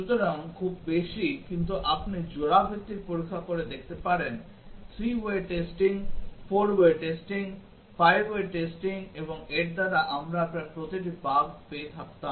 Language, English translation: Bengali, So, just too many, but you can try out the pair wise testing, 3 way testing, 4 way testing, 5 way testing and by that we would have got almost every bug